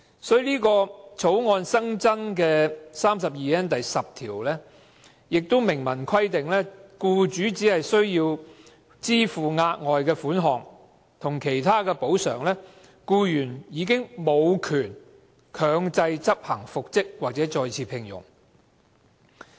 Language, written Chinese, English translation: Cantonese, 《條例草案》新增的第 32N 條明文規定，僱主只須支付額外款項及其他補償，僱員便無權強制執行復職或再次聘用令。, The new section 32N10 of the Bill stipulates that as long as the employer pays a further sum and other compensations the employee has no right to enforce the order for reinstatement or re - engagement